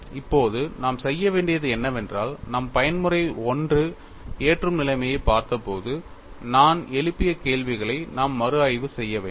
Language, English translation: Tamil, Now, what we will have to do is, we will have to go and reinvestigate the kind of questions I raised when we looked at the mode 1 loading situation